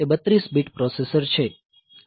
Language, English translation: Gujarati, So, its a 32 bit processor